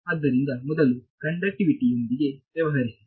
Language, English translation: Kannada, So, deal with conductivity first of all